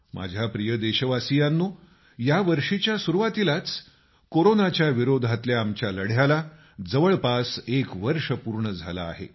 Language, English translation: Marathi, the beginning of this year marks the completion of almost one year of our battle against Corona